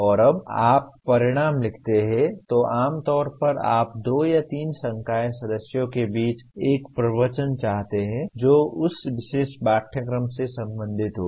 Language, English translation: Hindi, And when you write outcomes, generally you want a discourse between the two or three faculty members who are concerned with that particular course